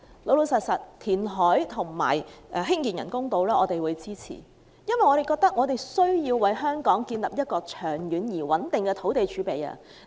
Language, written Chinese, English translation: Cantonese, 我們支持填海興建人工島，因為我們認為香港需要建立長遠而穩定的土地儲備。, We support reclamation for the construction of artificial islands because we believe Hong Kong needs a long - term and stable land reserve